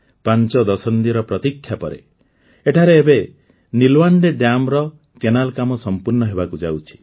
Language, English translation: Odia, After waiting for five decades, the canal work of Nilwande Dam is now being completed here